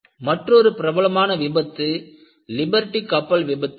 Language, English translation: Tamil, Another famous failure was Liberty ship failure